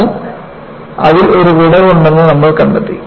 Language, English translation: Malayalam, You find that, there is a lacuna in understanding